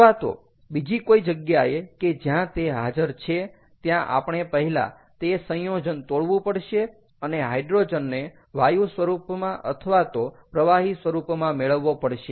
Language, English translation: Gujarati, or or in other, wherever it is available, ah, we have to first break up that compound and extract the hydrogen out as an element in the gaseous form or in the liquid form, which form is available